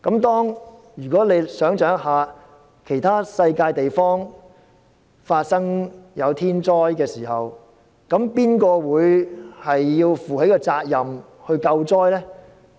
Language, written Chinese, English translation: Cantonese, 大家試想象，當世上其他地方發生天災時，誰會負責救災呢？, Let us imagine that when a natural disaster occurs in other part of the world who will be responsible for providing aids?